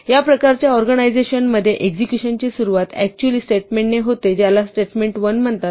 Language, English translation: Marathi, In this kind of organization the execution would actually start with the statement which is called statement 1